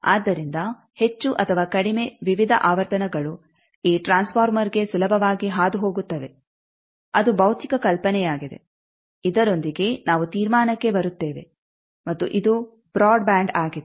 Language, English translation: Kannada, So, more or less various frequencies there passed easily to this transformer that is the physical idea I think with this we come to the conclusion and this is the broadband